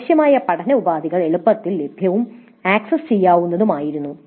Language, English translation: Malayalam, So the required learning resources were easily available and accessible